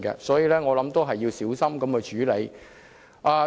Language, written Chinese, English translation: Cantonese, 所以，我認為應小心處理。, Therefore I think that the matter should be handled carefully